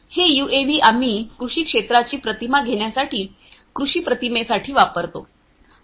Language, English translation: Marathi, This UAV we use for agro imagery taking images of agricultural field